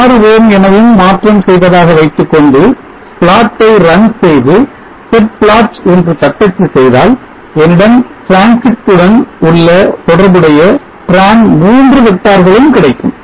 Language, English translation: Tamil, 6 ohms and run the plot and I will type in set plot you will see I have Tran 3 all the vectors corresponding to transit